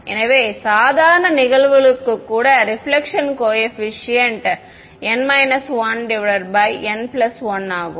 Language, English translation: Tamil, So, even for normal incidence the reflection coefficient is n minus 1 by n plus 1